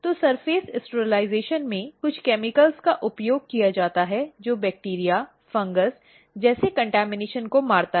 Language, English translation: Hindi, So, in surface sterilization, certain chemicals are used which kills the contamination like bacteria, fungus